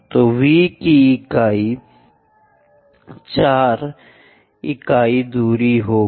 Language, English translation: Hindi, So, V will be 4 unit distance